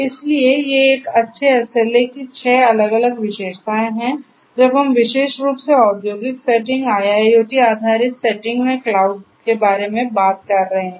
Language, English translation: Hindi, So, these are the six different characteristics of a good SLA when we are talking about cloud particularly in an industrial setting IIoT based setting